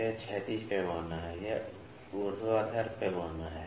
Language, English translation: Hindi, So, this is horizontal scale, this is vertical scale